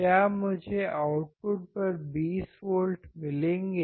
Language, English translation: Hindi, Would I get 20 volts at the output